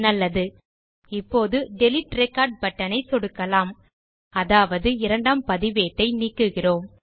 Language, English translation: Tamil, Good, let us now click on the Delete Record button, meaning, we are trying to delete this second record